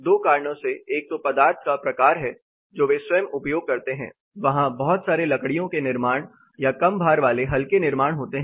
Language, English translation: Hindi, For 2 reasons; one is the type of material they use by itself, there is a lot of wooden construction, light weight construction, happening